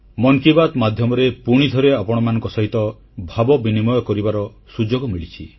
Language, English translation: Odia, Through 'Mann Ki Baat', I once again have been blessed with the opportunity to be facetoface with you